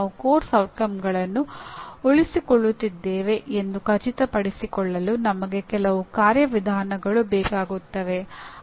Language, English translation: Kannada, We need some mechanism of making sure that we are retaining the course outcomes